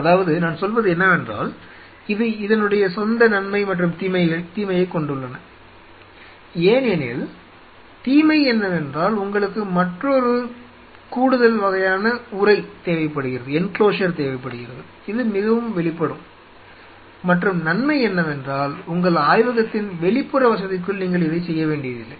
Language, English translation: Tamil, Well I mean it has it is advantage and disadvantage because the disadvantage is that then you need another additional kind of enclosure, which is much more exposed and the disadvantage is that you do not have to do this stuff inside the outer facility of your lab